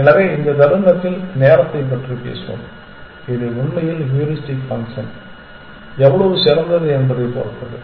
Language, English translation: Tamil, So, much in this moment, let us talk about time it really depends on how good the heuristic function is